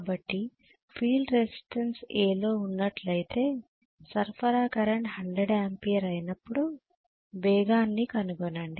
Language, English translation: Telugu, So if the field resistance is increase that is in A find the speed when supply current is 100Ampere